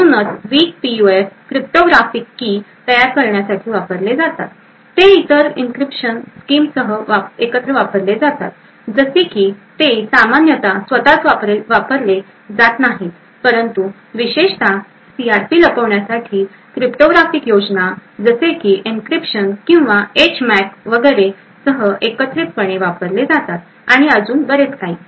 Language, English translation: Marathi, So essentially weak PUFs are used for creating cryptographic keys, they are used together with other encryption schemes like they are typically used they are typically not used by itself but typically combined with other cryptographic schemes like encryption or HMAC and so on in order to hide the CRP